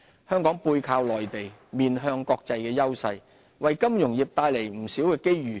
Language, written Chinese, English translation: Cantonese, 香港"背靠內地，面向國際"的優勢，為金融業帶來了不少機遇。, Our advantage in leveraging the Mainland while engaging the world at large has created ample opportunities for our financial sector